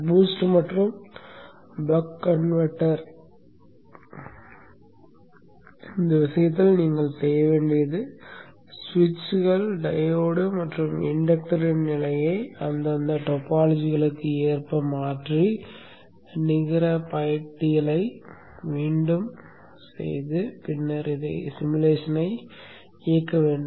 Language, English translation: Tamil, In the case of boost and buck boost converter, what you have to do is change the position of the switches, diode and the inductor according to their respective topologies and redo the net list and then run the simulation